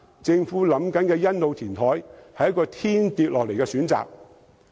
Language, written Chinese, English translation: Cantonese, 政府現時計劃的欣澳填海，正是一個天掉下來的選擇。, The Sunny Bay reclamation project currently under planning by the Government is a windfall opportunity to realize this dream